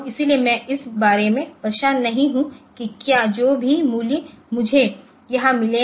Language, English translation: Hindi, So, I am not bothered about whether the, whatever be the values I have got here